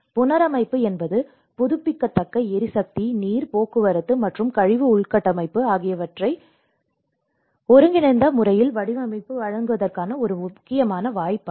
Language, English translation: Tamil, Reconstruction is an important opportunity to design and deliver renewable energy, water transport, and waste infrastructure in an integrated way